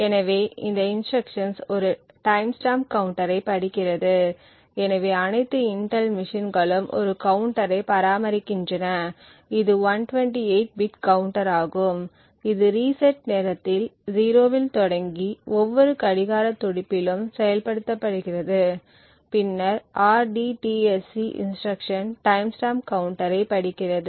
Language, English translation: Tamil, So this instruction essentially reads a timestamp counter, so all Intel machines maintain a counter, it is a 128 bit counter which starts at 0 at the time of reset and implements at every clock pulse, so the rdtsc instruction then reads the timestamp counter at that particular incident